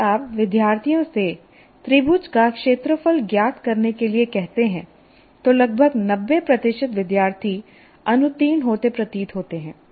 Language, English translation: Hindi, If you ask the student to find the area of a triangle, almost 90% of the students seem to be failing